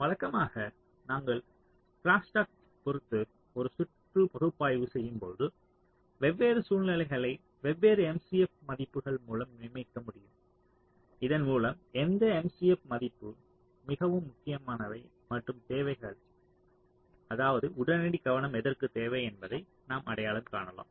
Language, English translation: Tamil, so usually when we analyze a circuit with respect to crosstalk ah, we can ah designate the different situations by different m c f values, so that you can identify that which m, c, f value is more crucial and needs means immediate attention